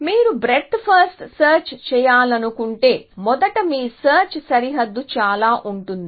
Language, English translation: Telugu, Now, if you want to do blind breadth first search your search boundary would look like this